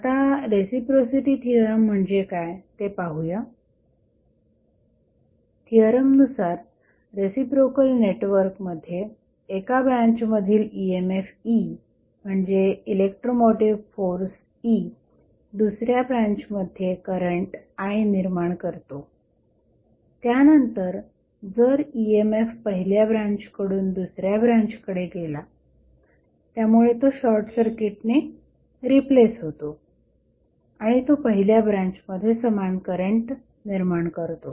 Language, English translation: Marathi, Now, let us see what do you mean by reciprocity theorem the theorem says that if an EMF E, EMF is nothing but electro motive force E in 1 branch of reciprocal network produces a current that is I in another branch, then, if the EMF is moved from first to the second branch, it will cause the same current in the first branch where EMF has been replaced by a short circuit